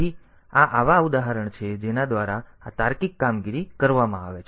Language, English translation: Gujarati, So, these are the examples by which this logical operations are done